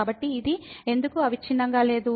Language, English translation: Telugu, So, why this is not continuous